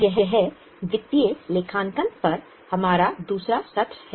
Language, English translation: Hindi, This is our second session on financial accounting